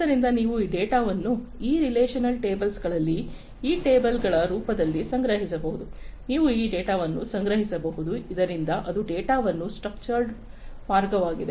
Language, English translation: Kannada, So, you can store those data in these relational tables in the form of these tables you can store this data so that is structured way of storing the data